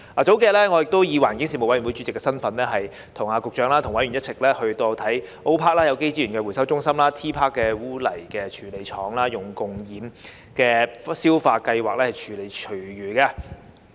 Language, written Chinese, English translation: Cantonese, 數天前，我以環境事務委員會主席的身份跟局長和委員一起參觀 O.PARK1 的有機資源回收中心及 T.PARK 的污泥處理廠採用共厭氧消化技術處理廚餘的情況。, Is it possible to speed up a bit to tie in with waste charging? . A few days ago in my capacity as Chairman of the Panel on Environmental Affairs I together with the Secretary and members of the Panel visited O․PARK1 an organic resources recovery centre and T․PARK a sludge treatment plant using anaerobic co - digestion technology for treating food waste